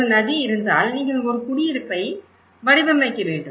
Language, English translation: Tamil, If there is a river and there is a settlement you are designing